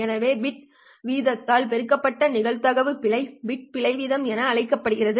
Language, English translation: Tamil, So this probability of error multiplied by the bit rate is what we called as the bit error rate